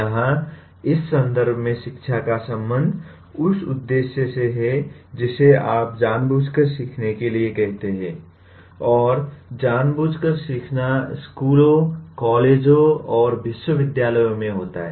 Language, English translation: Hindi, Here education in this context is concerned with what you call intentional learning, and intentional learning happens in schools, colleges and universities